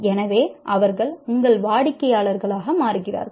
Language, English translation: Tamil, So they become your customers